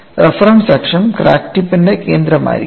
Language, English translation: Malayalam, Origin of the reference axis would be the center of the crack tip